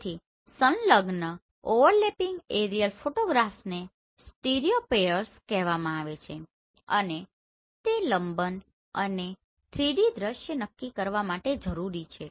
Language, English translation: Gujarati, So adjacent overlapping aerial photographs are called stereopairs and are required to determine the parallax and 3D viewing